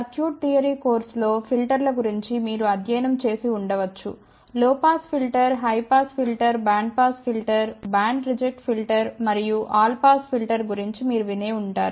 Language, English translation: Telugu, You might have studied about filters in circuit theory course; where you would have heard about low pass filter, high pass filter, band pass filter, band reject filter and all pass filter